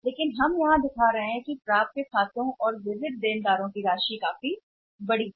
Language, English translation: Hindi, But we are showing here we are first what we are doing is that in the accounts receivable sundry debtors amount is quite large